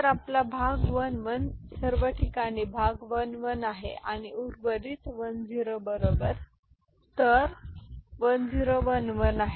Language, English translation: Marathi, So, your quotient is 1 1 all right quotient is 1 1 and remainder is 1 0 right so 1 0 1 1 is 11